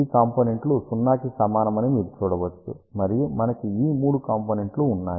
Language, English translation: Telugu, You can see that these components are equal to 0, and we have these three other components